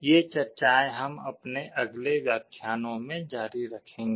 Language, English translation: Hindi, These discussions we shall be continuing in our next lectures